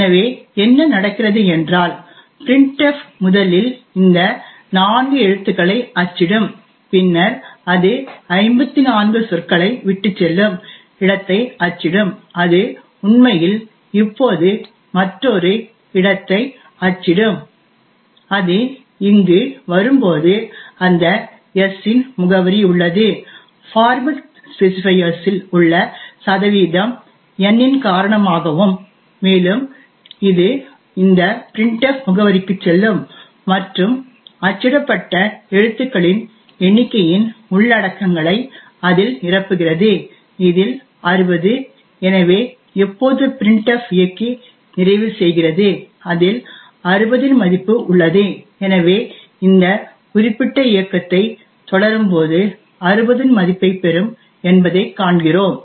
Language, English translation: Tamil, So what happens is that printf would first print these four characters then it would print the space it would leave 54 words and then it would actually print another space now when it comes over here we have that the address of s is present, so because of the percentage n that is in the format specifier and printf it go to this address and fill in it the contents of the number of characters that has been printed, in which case 60, so thus when printf completes execution we have s that has the value of 60 in it and therefore when we continue this particular execution we see that the s would get a value of 60